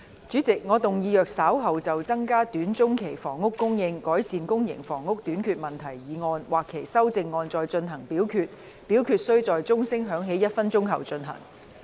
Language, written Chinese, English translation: Cantonese, 主席，我動議若稍後就"增加短中期房屋供應，改善公營房屋短缺問題"所提出的議案或修正案再進行點名表決，表決須在鐘聲響起1分鐘後進行。, President I move that in the event of further divisions being claimed in respect of the motion on Increasing housing supply in the short to medium term to rectify the problem of public housing shortage or any amendments thereto this Council do proceed to each of such divisions immediately after the division bell has been rung for one minute